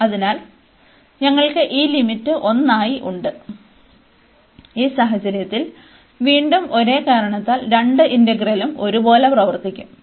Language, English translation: Malayalam, So, we have this limit as 1, and in this case again for the same reason both the integrals will behave the same